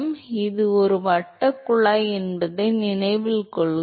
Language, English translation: Tamil, So, note that it is a circular tube